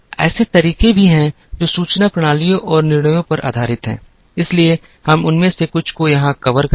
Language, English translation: Hindi, There are also methodologies that are based on information systems and decisions, so we cover some of them here